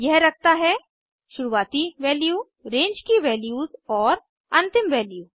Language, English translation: Hindi, It consists of a start value, range of values and an end value